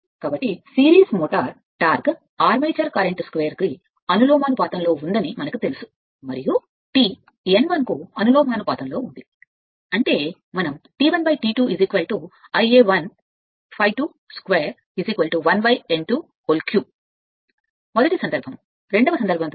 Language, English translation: Telugu, So, for series motor torque, we know proportional to armature current square and it is given T proportional to n cube; that means, we can write T 1 by T 2 is equal to I a 1 upon I a 2 whole square is equal to n 1 upon n 2 whole cube right first case, second case right